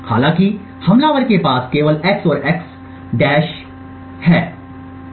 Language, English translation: Hindi, However, what the attacker only has is x and the x~